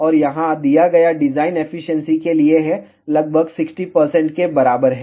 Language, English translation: Hindi, And the design given over here is for efficiency, approximately equal to 60 percent